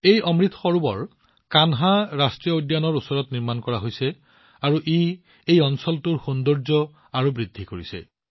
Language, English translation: Assamese, This Amrit Sarovar is built near the Kanha National Park and has further enhanced the beauty of this area